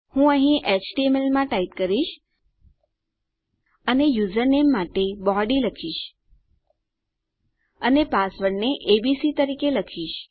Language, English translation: Gujarati, I type in html here and for my username I say body and just keep my password as abc